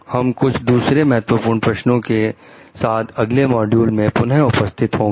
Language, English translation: Hindi, We will come up with more key questions in the next module